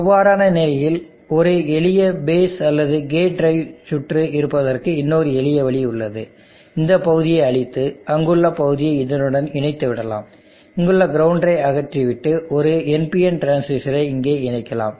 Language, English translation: Tamil, In that case there is yet another simple way to have a simple base or gate drive circuit, what we can do is okay erase this portion let me joint the portion there, and I will remove this ground here and place on NPN transistor here